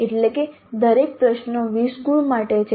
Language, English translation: Gujarati, That means each question is for 20 marks